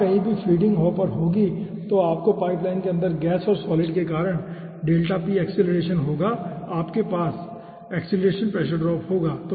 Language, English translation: Hindi, wherever feedings will be the hopper, then you will be having delta p acceleration due to gas and solid plus inside the pipeline, you will be having acceleration pressure drop